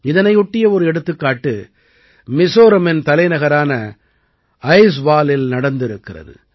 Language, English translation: Tamil, One such example is that of Aizwal, the capital of Mizoram